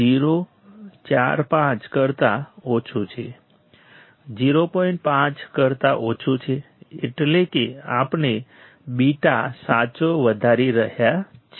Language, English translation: Gujarati, 5 that means, we are increasing beta correct